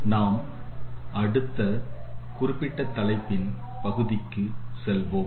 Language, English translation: Tamil, We will move to the next part of this particular topic